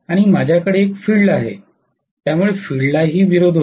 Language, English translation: Marathi, And I do have a field, so field will also have a resistance